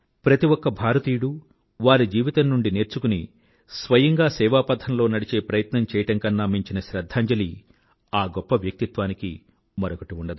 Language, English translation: Telugu, There cannot be any other befitting tribute to this great soul than every Indian taking a lesson from her life and emulating her